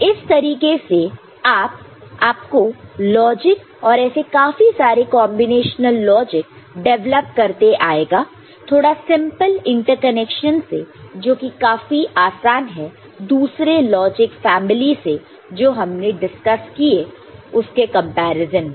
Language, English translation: Hindi, So, that is how you get the logic and many such combinatorial logic can be developed by simple interconnection of this which is much easier compared to what you had seen in case of other logic family that we had discussed ok